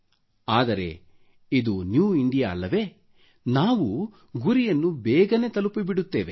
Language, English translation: Kannada, But this is New India, where we accomplish goals in the quickest time possible